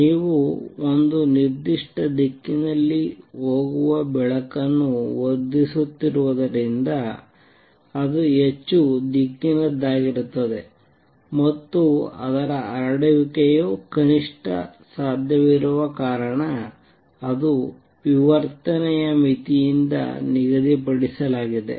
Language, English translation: Kannada, Why because you are amplifying the light going in one particular direction, so it is going to be highly directional and also it is so because its spread is minimum possible that is set by the diffraction limit